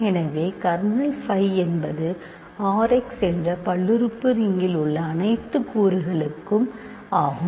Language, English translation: Tamil, So, that is what the question is kernel phi is all elements in the polynomial ring R x